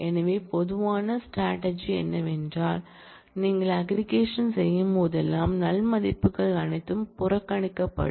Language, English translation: Tamil, So, the general strategy is that, whenever you perform aggregation then the null values are all ignored